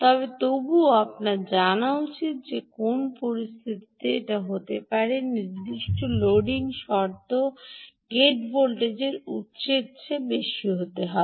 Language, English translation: Bengali, but nevertheless you should know that there can be a situation where the gate voltage has to be given higher than that of the source under certain loading conditions